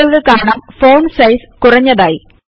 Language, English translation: Malayalam, You see that the font size of the text decreases